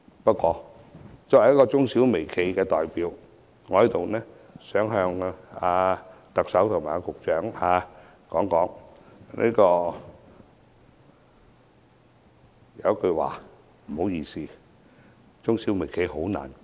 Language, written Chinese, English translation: Cantonese, 不過，作為中小微企的代表，我想在此跟特首和局長說一句話，不好意思，中小微企啃不下。, But as the representative of MSMEs I wish to say a few words to the Chief Executive and the Secretary here . Sorry MSMEs could not possibly take it